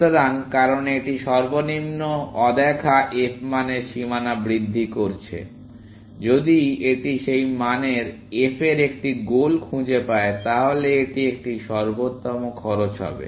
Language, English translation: Bengali, So, because it is only incrementing the boundary to the lowest unseen f value, if it finds a goal of f that value, then it will be an optimal cost